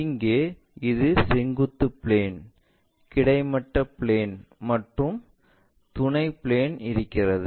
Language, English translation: Tamil, Here, we have this is vertical plane, horizontal plane and our auxiliary plane is this